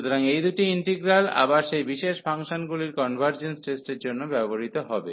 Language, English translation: Bengali, So, these two integrals will be used again for the comparison test of those special functions